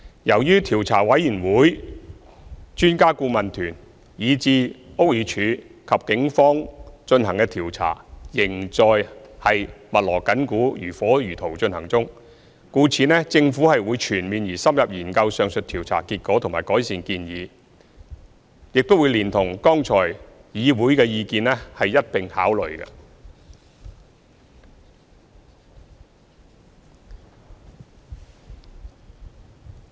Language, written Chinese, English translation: Cantonese, 由於調查委員會、專家顧問團、以至屋宇署和警方進行的調查，仍在密鑼緊鼓、如火如荼進行中，故此政府會全面和深入研究上述調查結果和改善建議，亦會連同議會的意見一併考慮。, Since there are investigations going on in full swing by the Commission of Inquiry the Expert Adviser Team the Buildings Department and the Police the Government will study the outcome and the recommendations of the aforesaid investigations thoroughly and in detail together with the views of the Legislative Council